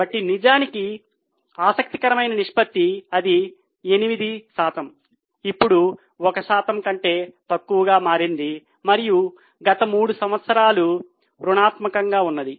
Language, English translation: Telugu, So, really interesting ratio it was 8%, then became less than 1% and it's negative in last 3 years